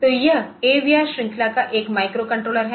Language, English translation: Hindi, So, this is a microcontroller of AVR series, ok